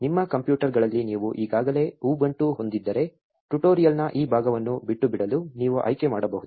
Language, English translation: Kannada, If you already have ubuntu on your computers you may choose to skip this part of the tutorial